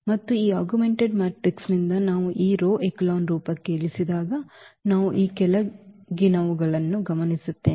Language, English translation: Kannada, And from this augmented matrix when we reduce to this rho echelon form we observe the following